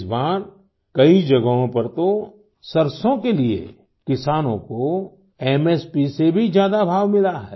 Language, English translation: Hindi, This time in many places farmers have got more than the minimum support price MSP for mustard